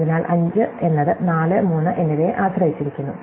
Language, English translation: Malayalam, So, 5 depends on 4 and 3